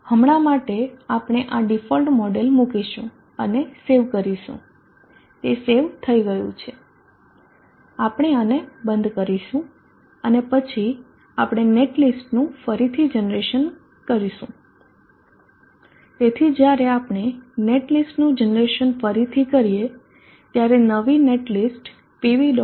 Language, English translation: Gujarati, Now for the for now we will put this default model and save that is saved we close this and then we do the generation of the net list, so when we redo the generation of the net list the new necklace would have been created in PV